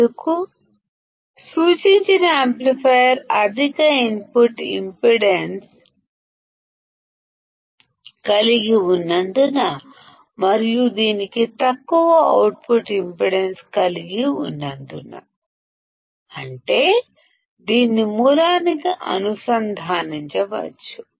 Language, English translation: Telugu, Because the indicated amplifier has a high input impedance and it has low output impedance; that means, it can be connected to a source